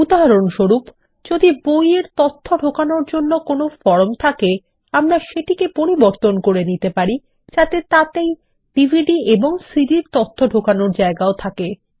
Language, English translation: Bengali, For example, if we had a form to enter books data, we can modify it to allow data entry for DVDs and CDs also